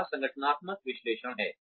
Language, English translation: Hindi, The first is organizational analysis